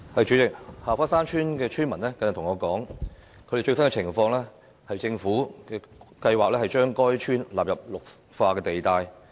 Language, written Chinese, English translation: Cantonese, 主席，下花山村村民跟我說他們的最新情況，政府計劃將該村納入綠化地帶。, President villagers from Ha Fa Shan Village have updated me on their latest situation recently . They say that the Government has plans to include their village in the Green Belt